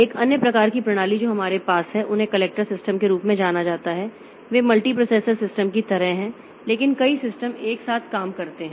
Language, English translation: Hindi, Another type of systems that we have so they are known as clustered systems they are like multiprocessor systems but multiple systems they are worked together